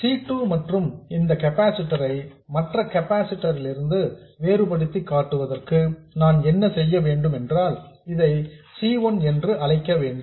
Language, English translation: Tamil, So, what I need to do is this C2 and to distinguish this capacitor from the other capacitor, let me call this C1